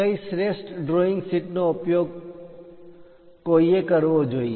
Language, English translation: Gujarati, What is the best drawing sheet one should use